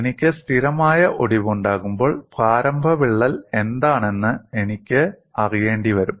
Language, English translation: Malayalam, When I have a stable fracture, I will have to go by what was the initial crack